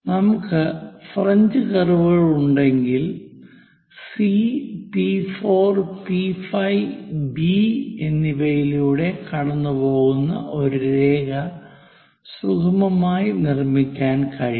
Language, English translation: Malayalam, So, if we have French curves, one can smoothly construct a nice line which is passing through that C P 4 P 5 and B